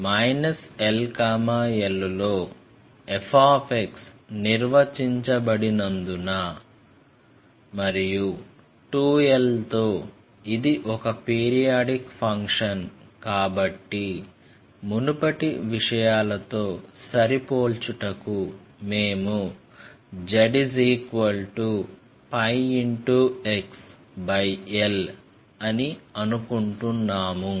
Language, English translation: Telugu, Since f x is defined in minus l to l and it is a periodic function with period 2 pi, to match with the earlier things we are assuming this thing say z equals pi x by l